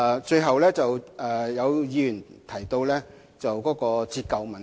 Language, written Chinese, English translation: Cantonese, 最後，有議員提及折舊的問題。, Finally some Members have mentioned the issue of deprecation